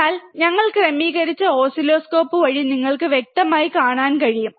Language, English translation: Malayalam, But we adjusted in the oscilloscope so that you can see clearly, right